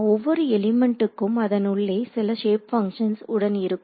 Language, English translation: Tamil, So, each element then has inside it some shape functions ok